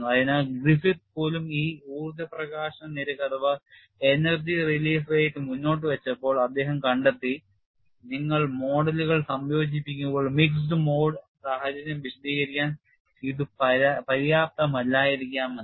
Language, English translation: Malayalam, So, even Griffith when he propounded this energy release rate, he found when you have a combine modes, this may not be sufficient to explain the next mode situation